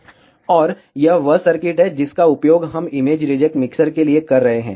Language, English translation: Hindi, And this is the circuit that we are using for image reject mixers